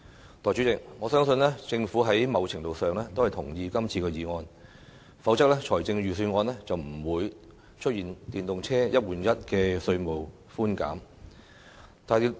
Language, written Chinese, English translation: Cantonese, 代理主席，我相信政府某程度上同意今次的議案，否則，財政預算案也不會出現電動車"一換一"的稅務寬減措施。, Deputy President I believe that the Government agrees with the motion to a certain extent . Otherwise the Budget would not have announced a one - for - one replacement scheme for EV buyers to enjoy tax concessions